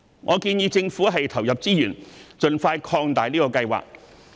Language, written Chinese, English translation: Cantonese, 我建議政府投入資源，盡快擴大這個計劃。, I suggest that the Government allocate resources to expand this scheme as soon as possible